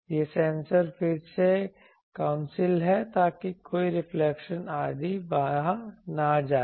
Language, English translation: Hindi, These sensors are again council so that no reflections etc